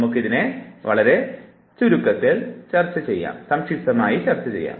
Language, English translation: Malayalam, Let us discuss it very succinctly